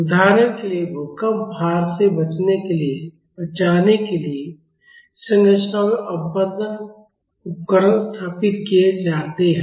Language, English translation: Hindi, For example, damping devices are installed in structures to save it from earthquake loading